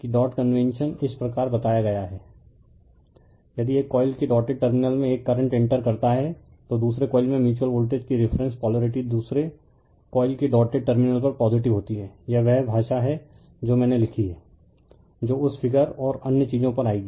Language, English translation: Hindi, If a current enters the dotted terminal of one coil , the reference polarity of the mutual voltage in the second coil is positive at the dotted terminal of the second coil, this is the language I have written that you will come to that figure and other thing